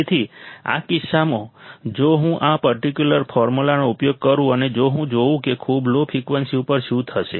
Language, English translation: Gujarati, So, in this case, if I use this particular formula and if I see that at very low frequencies what will happen